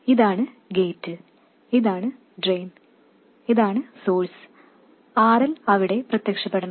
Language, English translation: Malayalam, This is the gate, this is the drain, this is the source, and RL must appear over there